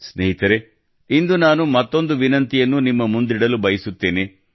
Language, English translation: Kannada, Friends, today I would like to reiterate one more request to you, and insistently at that